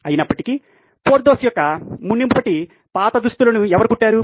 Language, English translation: Telugu, However, I wonder who stitched those previous old clothes of Porthos